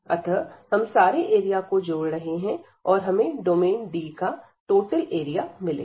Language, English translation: Hindi, So, we are adding all these areas, and we will get the total area of the domain D